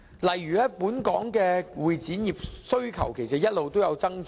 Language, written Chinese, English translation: Cantonese, 例如，本港的會展業需求其實一直有所增長。, For example the convention and exhibition industry in Hong Kong has actually faced an increasing demand